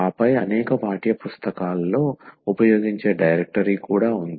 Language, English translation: Telugu, And then there is a directory also used in several textbooks